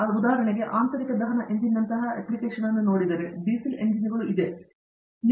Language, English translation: Kannada, So if, for example, you look at an application like internal combustion engine let say, Diesel engines